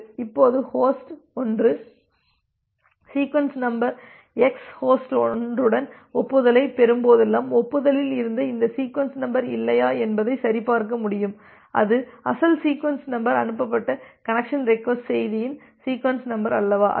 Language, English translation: Tamil, Now, whenever the host 1 receives an acknowledgement with sequence number x host 1 can verify whether this sequence number which was there in the acknowledgement it is the original sequence number or not it is the sequence number of the connection request message that is sent it is corresponding to that or not